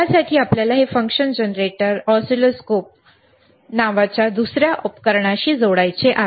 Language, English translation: Marathi, So, we have to connect our function generator to the oscilloscope